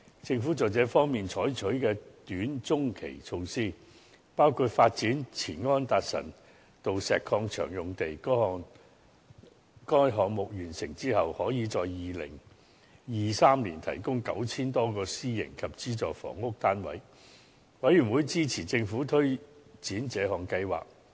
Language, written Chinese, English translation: Cantonese, 政府在這方面採取的短/中期措施，包括發展前安達臣道石礦場用地，該項目完成之後，可以在2023年提供 9,000 多個私營及資助房屋單位，事務委員會支持政府推展這項計劃。, In this regard the Government adopted a series of short - to medium - term measures including the development of the former Anderson Road Quarry site . When the project is completed it can provide about 9 000 private and subsidized housing units in 2023 . The Panel supported the Government in taking forward this project